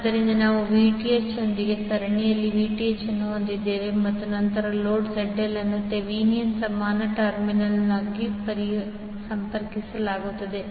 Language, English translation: Kannada, So, we will have Vth in series with Zth and then load ZL will be connected across the Thevenin equivalent terminal